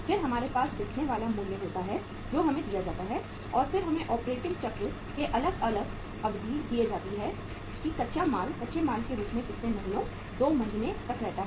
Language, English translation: Hindi, Then we have selling price that is given to us and then we are given the different durations of the operating cycle that raw material remains as a raw material uh for a period of how many months, 2 months